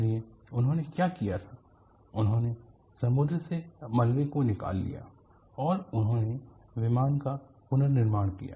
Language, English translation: Hindi, So, what they did was they salvagedwreckage from the ocean and they reconstructed the aircraft